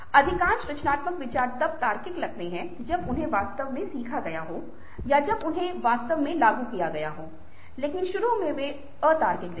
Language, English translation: Hindi, most creative ideas look logical when they have been actually ah learnt or with when they have actually been applied, but initially they look illogical